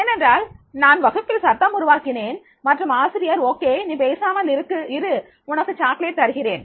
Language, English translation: Tamil, That is the I create the noise in the class and the teacher says that is okay you keep mum I will give you a